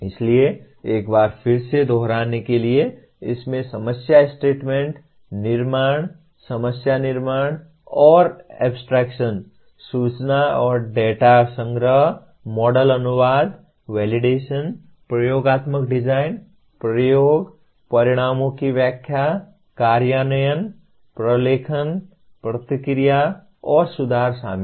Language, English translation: Hindi, So once again to repeat, it involves problem statement construction, problem formulation, and abstraction, information and data collection, model translation, validation, experimental design, experimentation, interpretation of results, implementation, documentation, feedback, and improvement